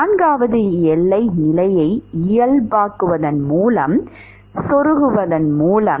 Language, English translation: Tamil, By plugging in fourth boundary condition by normalizing